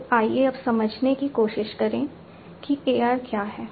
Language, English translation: Hindi, So, let us now try to understand what is AR